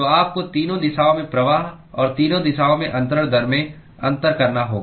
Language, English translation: Hindi, So, therefore you have to distinguish the fluxes in all three directions and the transfer rate in all three directions